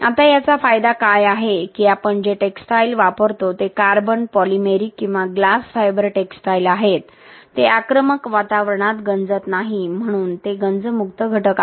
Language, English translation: Marathi, Now what is the advantage of this is that the textiles that we use are either carbon, polymeric or glass fibre textiles, these does not corrode in an aggressive environment so it is a corrosion free element